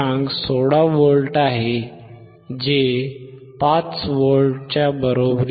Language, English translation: Marathi, 16 which is not equal to 5 V